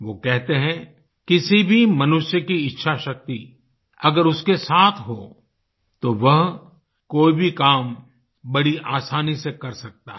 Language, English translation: Hindi, He says that if anyone has will power, one can achieve anything with ease